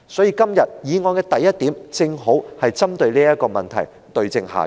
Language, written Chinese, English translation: Cantonese, 因此，議案的第一項正好針對這問題，對症下藥。, In this connection item 1 of the original motion has precisely targeted these problems and prescribed the right cure for them